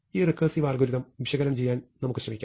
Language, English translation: Malayalam, So, let us try to analyze this recursively algorithm